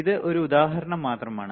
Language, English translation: Malayalam, So, this is a just an example